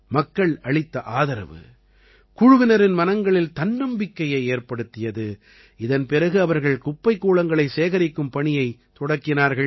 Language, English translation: Tamil, The confidence of the team increased with the support received from the people, after which they also embarked upon the task of collecting garbage